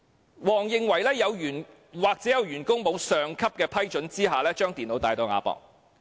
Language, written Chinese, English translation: Cantonese, 黃思文認為或有員工在未有上級批准下把電腦帶到亞博館。, WONG See - man believed the computers might have been brought by staff to AsiaWorld - Expo without the approval of their superiors